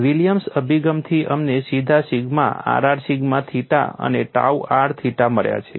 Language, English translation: Gujarati, From the Williams approach, we have directly got sigma r r sigma theta theta and tau r theta